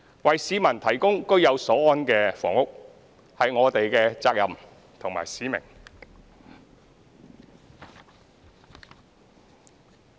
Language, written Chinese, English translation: Cantonese, 為市民提供居有所安的房屋，是我們的責任和使命。, It is our responsibility and mission to provide the public with housing units where they can live in peace and contentment